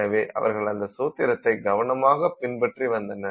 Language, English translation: Tamil, So, they would just follow that formula carefully